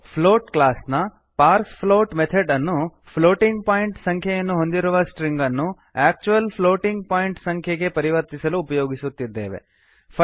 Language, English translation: Kannada, parsefloat We are using the Parsefloat methods of the float class to convert the string containing a floating point number into an actual floating point number